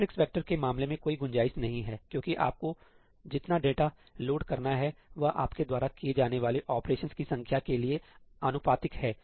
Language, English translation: Hindi, In case of matrix vector there is no scope, because the amount of data you have to load is proportional to the number of operations you have to do